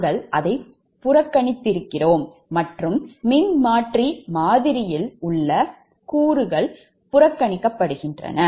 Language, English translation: Tamil, we have neglected and shunt elements in the transformer model are neglected